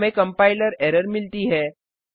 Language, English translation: Hindi, We get a compiler error